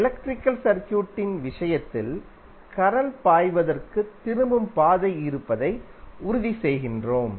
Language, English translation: Tamil, While in case of electrical circuit we make sure that there is a return path for current to flow